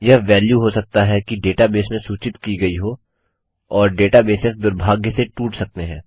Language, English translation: Hindi, This value may have been instructed from the data base and data bases can be broken into unfortunately